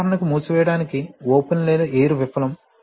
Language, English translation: Telugu, For example, fail open or air to close